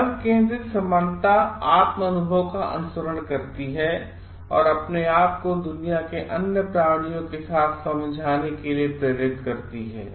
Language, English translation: Hindi, Biocentric equality follows self realisation and calls for understanding oneself a one with other creatures of the world